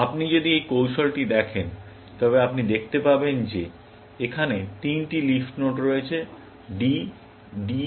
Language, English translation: Bengali, If you look at this strategy, then you can see that there are three leaf nodes here; D, D, and W